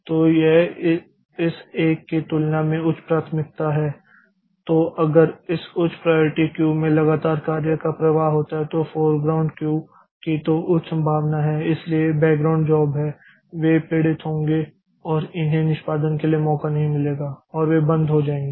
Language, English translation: Hindi, Then if there is a, if there is a possibility a continuous flow of jobs in the this high priority queue, the foreground queue, then there is a high chance that this background jobs so they will be suffering and they will not get chance for execution and they will stop